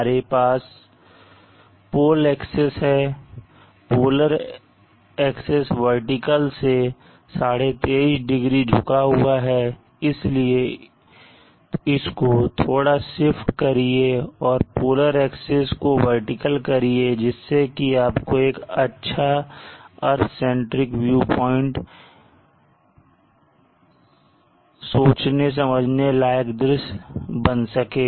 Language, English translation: Hindi, We have the pole axes the polar axes tilted at 23 and half degrees from the vertical so let us try to shift it and make the implore axes vertical and that would give you a better visualization for the urgent review point